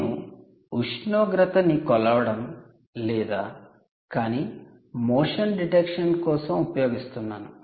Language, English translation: Telugu, here you are not measuring any temperature, you are only using it for motion detection